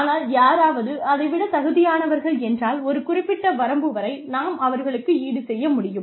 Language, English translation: Tamil, But, if somebody deserve more than that, up to a certain limit, we can compensate them